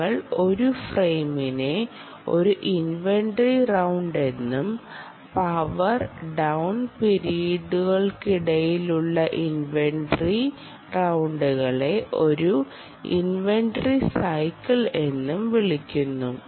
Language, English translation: Malayalam, um, we refer to an individual frame as an inventory round and a series of inventory rounds between power down periods as a inventory cycle